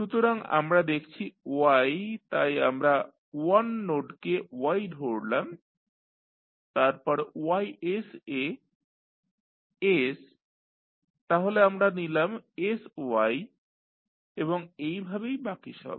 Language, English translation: Bengali, So, we will see y so we have put 1 node as Y then next is s into Ys so we have put sY and so on